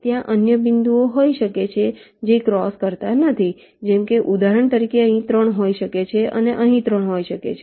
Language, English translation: Gujarati, also there can be other points which do not cross, like, for example, there can be a three here and a three here